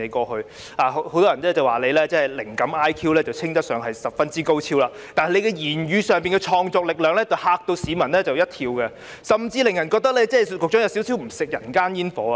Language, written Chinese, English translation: Cantonese, 很多人說你是"靈感 IQ 稱得上十分之高超"，但你在語言方面則是"創作力量嚇了市民一跳"，甚至令人覺得局長是不吃人間煙火。, Many people say that you have marvellous inspirations and very high IQ scores but when it comes to language skills your creativity has sent a terrible shock to the public or it even makes people feel that the Secretary is somewhat detached from reality . I have read the blogs written by the Secretary every Sunday